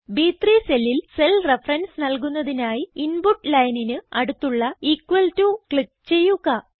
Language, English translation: Malayalam, To make the cell reference in cell B3, click on the equal to sign next to the Input line